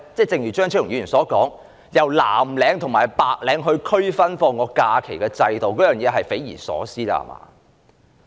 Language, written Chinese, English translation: Cantonese, 正如張超雄議員所說，以藍領和白領作假期區分是匪夷所思的制度。, As pointed out by Dr Fernando CHEUNG it is mind - boggling for giving blue - collar and white - collar workers different holiday entitlements